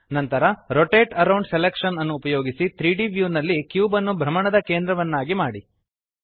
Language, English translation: Kannada, Then, using Rotate around selection, make the cube the centre of rotation in the 3D view